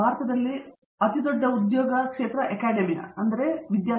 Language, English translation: Kannada, The biggest employer in India is the Academia